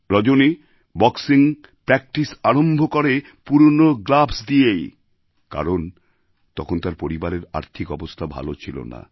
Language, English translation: Bengali, Rajani had to start her training in boxing with old gloves, since those days, the family was not too well, financially